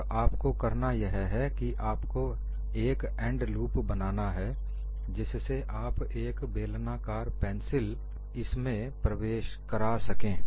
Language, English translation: Hindi, And what you will have to do is you will have to provide an end loop, so that you can insert a cylindrical pencil in that and you are going to do it by hand